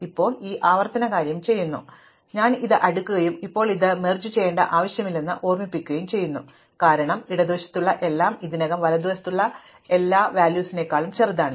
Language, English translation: Malayalam, Now, I do this recursive thing, I sort this and I sort this and now remember there is no need to merge, because everything on the left is already smaller than everything on the right